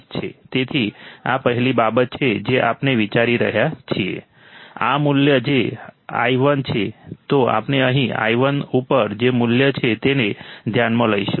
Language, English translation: Gujarati, So, this is the first thing we are considering, this value which is i1 then we will consider the value which is right over here i1